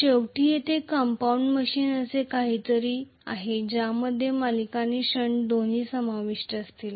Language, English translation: Marathi, Finally there is something called compound machine which will include both series and shunt